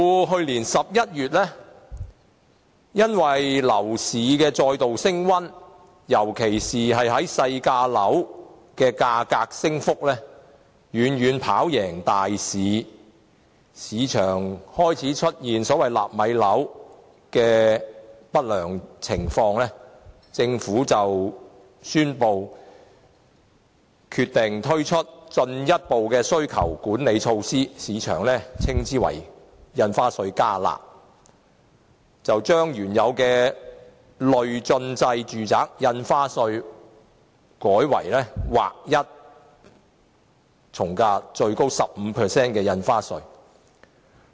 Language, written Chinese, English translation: Cantonese, 去年11月，由於樓市再度升溫，尤其是細價樓的價格升幅遠遠跑贏大市，市場開始出現所謂"納米樓"的不良現象，政府因而宣布推出進一步需求管理措施，即所謂"加辣"措施，將原來的累進制從價印花稅稅率改為劃一徵收 15% 新稅率。, Last November the property market became overheated again and in particular the price surge of small flats was significantly higher than other types of flats . The situation of having the so - called nano flats offered for sale in the market was undesirable . The Government thus introduced a new round of demand - side management measure ie